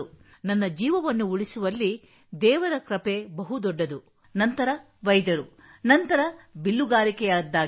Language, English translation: Kannada, If my life has been saved then the biggest role is of God, then doctor, then Archery